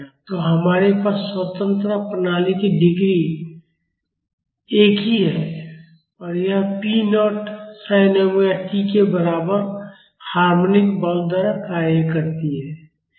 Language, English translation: Hindi, So, we have a single degree of freedom system and it is acted by a harmonic force equal to p naught sin omega t